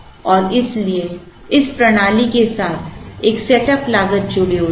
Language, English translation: Hindi, And therefore, there is a setup cost associated with this system